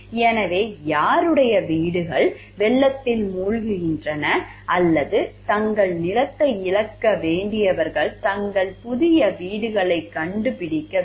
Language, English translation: Tamil, So, like who are whose homes are getting flooded or who have to find their new homes who have to who were losing their land